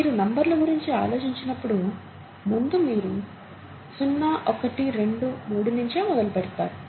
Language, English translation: Telugu, Initially when you think of numbers, you start from zero, one, two, three